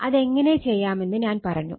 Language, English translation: Malayalam, So, I showed you that how one can do it